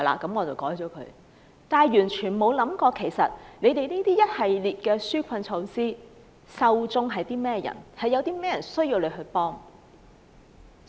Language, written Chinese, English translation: Cantonese, 他們不曾想過現時一系列紓困措施的受眾是誰，以及有誰需要政府幫忙。, They have never thought about who can benefit from all the existing relief measures and also who need assistance from the Government